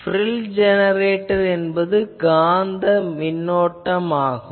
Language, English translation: Tamil, So, frill generator this is called this is the Magnetic Current